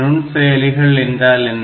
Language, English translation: Tamil, So, what is microprocessors